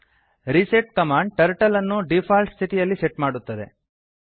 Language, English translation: Kannada, reset command sets Turtle to default position